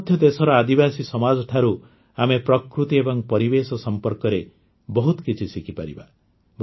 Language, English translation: Odia, Even today, we can learn a lot about nature and environment from the tribal societies of the country